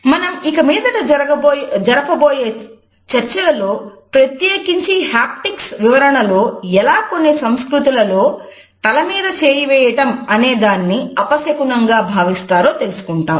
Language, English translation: Telugu, As we shall see in our further discussions particularly our discussions of haptics, we would look at how in certain cultures touching over head is considered to be inauspicious